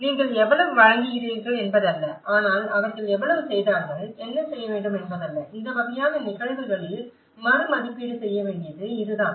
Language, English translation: Tamil, It is not how much you are providing but how much they have done and what needs to be done, this is where a reevaluation has to be done in these kind of cases